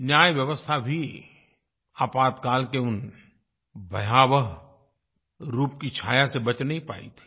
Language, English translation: Hindi, The judicial system too could not escape the sinister shadows of the Emergency